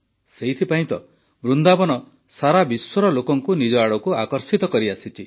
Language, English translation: Odia, That is exactly why Vrindavan has been attracting people from all over the world